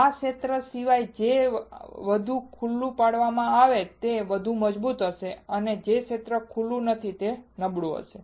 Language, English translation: Gujarati, Everything except this area which is exposed will be strong and the area which is not exposed will be weak